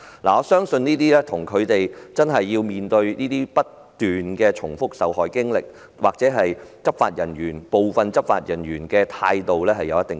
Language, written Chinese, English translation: Cantonese, 我相信這跟他們須面對不斷複述受害經歷或部分執法人員態度欠佳有關。, I believe this is due to the need to repeatedly describe the incidents or the undesirable attitude of some law enforcement officers